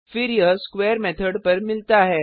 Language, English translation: Hindi, Then it comes across the square method